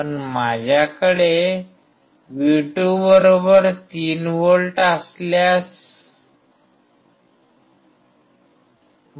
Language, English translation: Marathi, But what if I have V2=3V